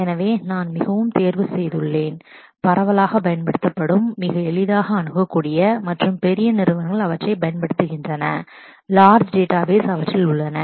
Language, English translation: Tamil, So, I have chosen the ones which are most widely used, most easily accessible and kind of large companies use them, large databases exist on them